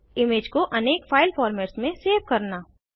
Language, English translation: Hindi, Save the image in various file formats